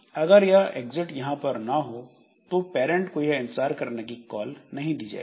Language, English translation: Hindi, Ideally if this exit is not there then this parent will know and parent is has not given the call to wait